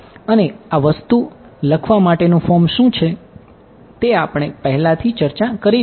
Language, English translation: Gujarati, And we have already discussed what is the form to write this thing